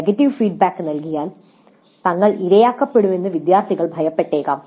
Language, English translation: Malayalam, Students may fear that they would be victimized if they give negative feedback